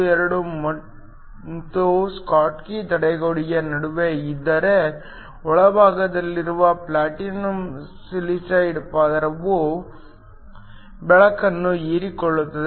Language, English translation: Kannada, 12 and the schottky barrier, then light will be absorbed by the platinum silicide layer in the internal photoemission process